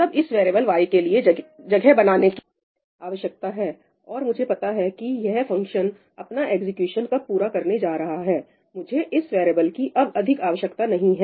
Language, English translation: Hindi, It is only when I come into the function g, that space needs to be created for this variable ‘y’ and I know that when this function is going to complete its execution, I won’t need this variable anymore, right